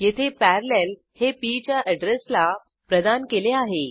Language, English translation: Marathi, Here, Parallel is assigned to the address of p